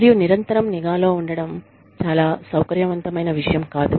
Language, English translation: Telugu, And, being under constant surveillance, is not something, very comfortable